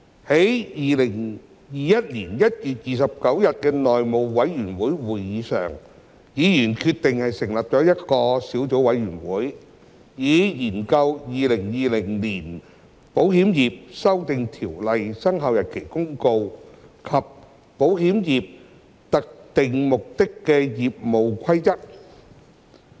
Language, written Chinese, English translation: Cantonese, 在2021年1月29日的內務委員會會議上，議員決定成立一個小組委員會，以研究《〈2020年保險業條例〉公告》及《保險業規則》。, At the House Committee meeting on 29 January 2021 Members decided to establish a Subcommittee to study the Insurance Amendment Ordinance 2020 Commencement Notice and the Insurance Rules